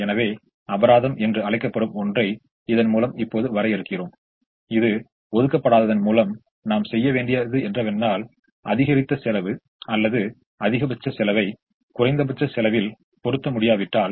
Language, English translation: Tamil, so we now define something called a penalty, which is the increased cost that we would incur by not assigning, or if we are not able to, the maximum in the least cost